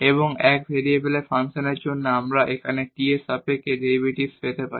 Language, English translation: Bengali, And for function of 1 variable we can get the derivative here with respect to t